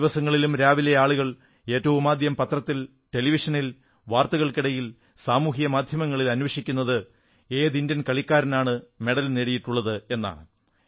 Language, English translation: Malayalam, Every morning, first of all, people look for newspapers, Television, News and Social Media to check Indian playerswinning medals